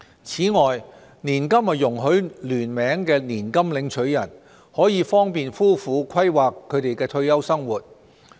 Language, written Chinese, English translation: Cantonese, 此外，年金容許聯名年金領取人，可方便夫婦規劃他們的退休生活。, Besides allowing joint annuitants an annuity is a convenient financial tool for a married couple to plan for their retirement